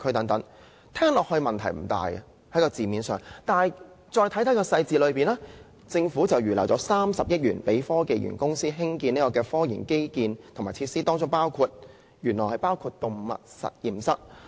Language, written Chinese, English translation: Cantonese, "字面上似乎問題不大，但再看看當中的細節，政府預留了30億元予科技園公司興建科研基建和設施，當中原來包括了動物實驗室。, It seems fine at a glance but if we look at the breakdown of the 3 billion allocated to HKSTPC for the construction of scientific research - related infrastructure and facilities the facilities to be constructed include an animal laboratory which is less heard of